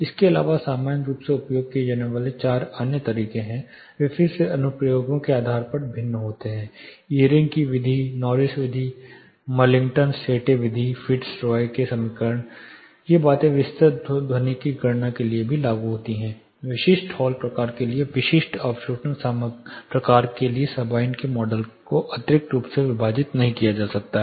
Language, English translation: Hindi, Apart from this there are four other commonly used things they again vary based on applications Eyring’s Method, Norris Method, Millington Sette Method, Fitz Roy’s equation these things are also applied for detailed acoustic calculations specific hall types specific absorption types Sabine’s model cannot be extrapolated